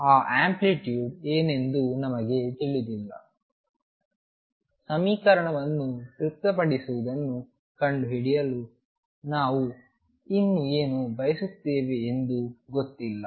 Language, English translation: Kannada, We do not know what that amplitude means how can we say what we still want to discover what is the equation satisfied by